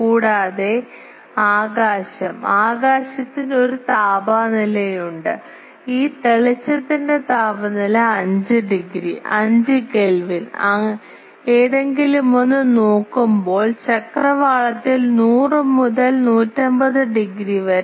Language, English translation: Malayalam, And also the sky, sky is have a temperature and this brightness temperature of around 5 degree, 5 Kelvin when looking towards any and about 100 to 150 degree in the horizon